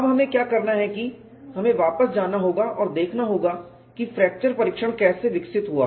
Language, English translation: Hindi, Now, what we will have to do is we will have to go back and see, how fracture testing evolved